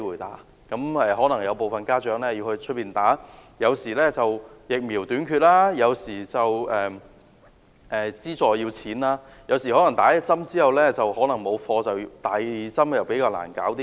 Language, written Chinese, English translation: Cantonese, 否則，如大部分家長要在校外接種，而基於疫苗短缺，或需要金錢資助，接種第一劑後可能沒有貨，第二劑便較難處理。, Otherwise if most parents have to arrange vaccinations for their daughters outside school due to the shortage of vaccines or the need for financial assistance or the short supply of vaccines after the first dose the second dose is harder to manage